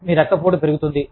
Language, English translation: Telugu, Your blood pressure, could go up